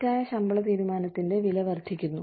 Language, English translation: Malayalam, The cost of mistaken pay decision, escalate